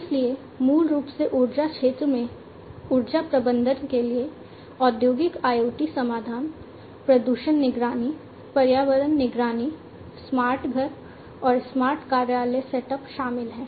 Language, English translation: Hindi, So, basically in the energy sector they have incorporated, Industrial IoT solutions for energy management, pollution monitoring, environmental monitoring, smart home and smart office setup, and so on